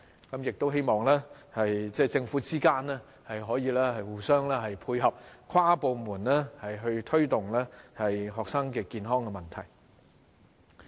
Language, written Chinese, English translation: Cantonese, 我亦希望政府部門之間可以互相配合，跨部門推動學生健康的問題。, I also hope that government departments can work with each other and promote health care among students at inter - departmentally level